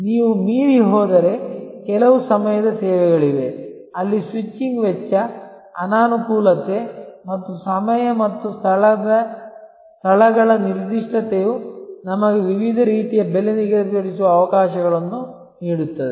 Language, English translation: Kannada, If you go beyond there are certain times of services, where the switching cost, inconvenience and time and locations specificity can give us opportunities for different types of price setting